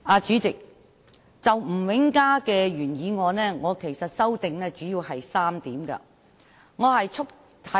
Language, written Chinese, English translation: Cantonese, 主席，就吳永嘉議員的原議案，我主要提出了3項修正。, President I have proposed mainly three amendments to Mr Jimmy NGs original motion